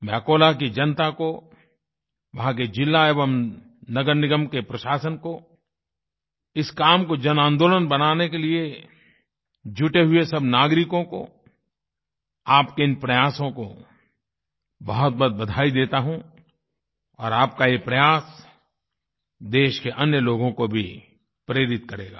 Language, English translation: Hindi, I congratulate the people of Akola, the district and the municipal corporation's administration, all the citizens who were associated with this mass movement, I laud your efforts which are not only very much appreciated but this will inspire the other citizens of the country